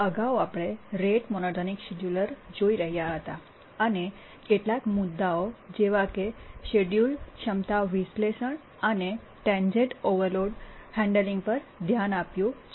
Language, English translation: Gujarati, We are looking at the rate monotonic scheduler and we had looked at some issues, the schedulability analysis and also we looked at the transient overload handling and so on